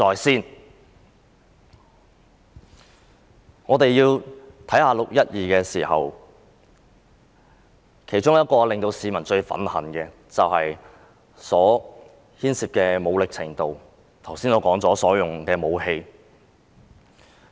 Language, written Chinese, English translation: Cantonese, 談論"六一二"事件時，當中令市民最憤恨的是所牽涉的武力程度，即我剛才提到警方所使用的武器。, In the discussion about the 12 June incident people are most furious about the level of force involved ie . the weapon used by the Police as I just mentioned